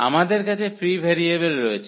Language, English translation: Bengali, So, we have the free variable we have the free variable